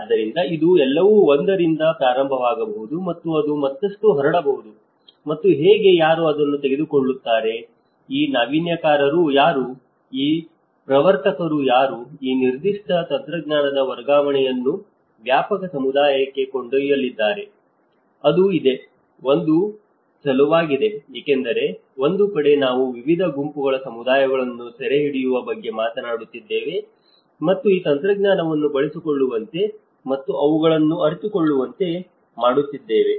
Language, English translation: Kannada, So, it is; it might start everything will start with one and but it has to diffuse further and how, who will take this, who are these innovators, who are these pioneers, who is going to take this particular transfer of technology to a wider community so, it has; this is one of the challenge because on one side, we are talking about capturing different groups of communities and making them use of this technology and realize them